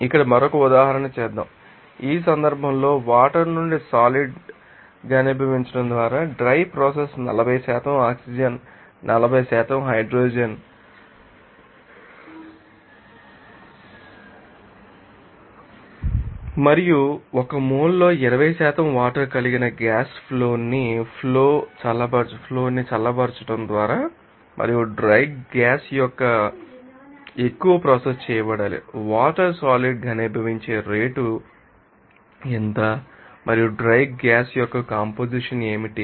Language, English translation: Telugu, Let us do another example here are now drying process by condensing out of water in this case a gas stream containing 40% oxygen 40% you know hydrogen and you know 20% water in mole is to be dried by cooling the stream and condensing out the water if hundred more per hour of a gaseous dream is to be processed, what is the rate at which the water will be condensed out and what is the composition of the dry gas